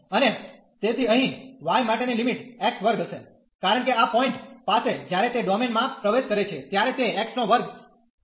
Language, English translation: Gujarati, And so here the limit for y will be x square, because at this point when it enters the domain it is x square